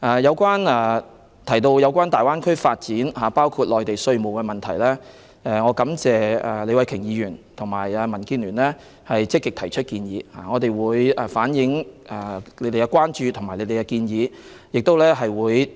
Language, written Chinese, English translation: Cantonese, 有關大灣區的發展，包括稅務的問題，我感謝李慧琼議員和民建聯積極提出建議，我們會向有關方面反映他們的關注和建議。, With regard to the development of the Greater Bay Area including taxation I thank Ms Starry LEE and the Democratic Alliance for the Betterment and Progress of Hong Kong for proactively making recommendations . We will relay their concerns and suggestions to the parties concerned